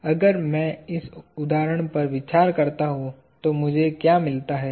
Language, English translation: Hindi, So, if I consider this example, what do I find